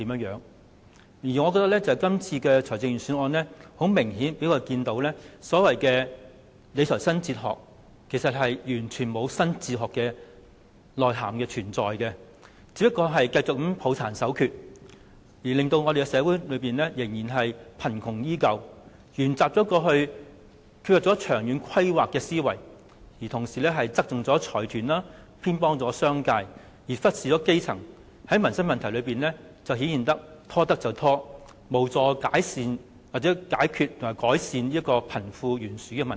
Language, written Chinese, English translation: Cantonese, 從今次的財政預算案，我們清楚看到所謂的理財新哲學，完全欠缺新的內涵，只是繼續抱殘守缺，讓社會貧窮依舊，又沿襲過去缺乏長遠規劃的思維，繼續側重財團，偏袒商界，忽視基層，在民生問題上"拖得便拖"，無助解決和改善貧富懸殊的問題。, The Budget this time around presents a clear picture of the so - called new fiscal philosophy . There is nothing new in content but a continual clasp of the outdated and fragmentary practices . It continues to allow the community to live in poverty follow the mentality which lacks long - term planning adopted in the past tilt to consortia favour the business sector and ignore the grass roots